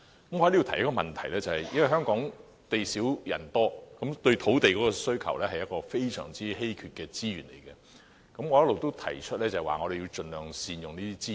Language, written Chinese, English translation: Cantonese, 我想就此提出一項補充質詢，由於香港地少人多，土地是非常稀缺的資源，我一直也提出要盡量善用資源。, I would like to ask a supplementary question in this regard . As Hong Kong is densely populated with limited supply of land rendering land a really scarce resource I have been proposing optimization of the use of resources